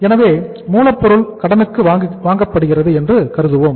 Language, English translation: Tamil, So we assume that the raw material is being purchased on the credit